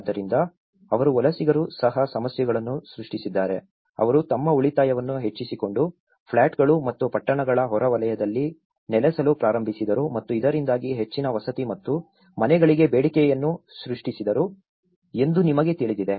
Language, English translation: Kannada, So, they also the migrants have also created problems, you know they started settling down on plots and outskirts of the towns increasing their savings and thus creating a demand for more housing and houses